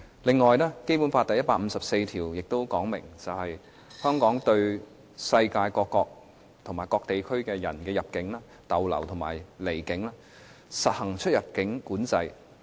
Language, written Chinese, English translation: Cantonese, 此外，《基本法》第一百五十四條亦訂明，香港對世界各國或各地區的人入境、逗留和離境，可實行出入境管制。, Furthermore Article 154 of the Basic Law provides that Hong Kong may apply immigration controls on entry into stay in and departure from Hong Kong by persons from foreign states and regions